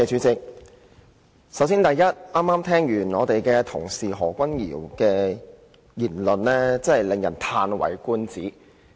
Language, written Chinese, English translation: Cantonese, 首先，剛剛聽罷何君堯議員的發言，實在令人嘆為觀止。, First of all the speech made by Dr Junius HO just now is indeed an eye - opener to me